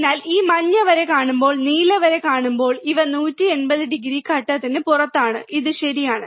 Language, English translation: Malayalam, So, when you see this yellow line, and when you see the blue line, these are 180 degree out of phase, 180 degree out of phase right so, this is ok